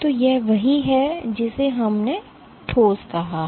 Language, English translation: Hindi, So, this is what we called a solid ok